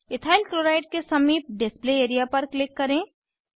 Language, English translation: Hindi, Click on the Display area, beside Ethyl Chloride